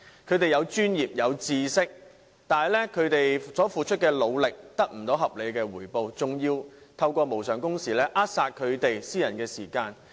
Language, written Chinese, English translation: Cantonese, 他們擁有專業和知識，但所付出的努力卻無法得到合理回報，更因無償工時而被扼殺私人時間。, Even though they have professional knowledge in their respective areas of expertise they are never duly rewarded for the efforts made . Worse still they are deprived of their private time under uncompensated overtime hours